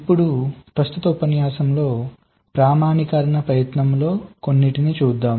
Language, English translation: Telugu, now, in the correct lecture, we shall be looking at some of this standardization effort in this regard